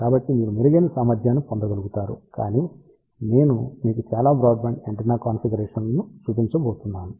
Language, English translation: Telugu, So, that you can get a better efficiency, but later on I am going to show you lot of broadband antenna configurations